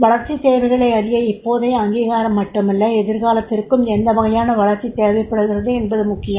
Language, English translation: Tamil, To know the developmental requirements now it is also not only the recognition but for future also that what sort of the development is required